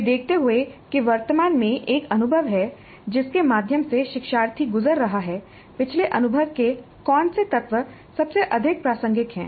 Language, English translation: Hindi, Given that presently there is an experience through which the learner is going, which elements of the previous experience are most relevant